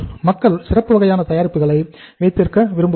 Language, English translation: Tamil, People want to have the special kind of the products